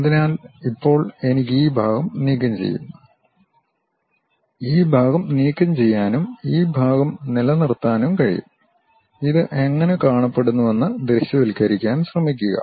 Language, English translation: Malayalam, So, now I can remove this part and remove this part and retain this part, try to visualize how it looks like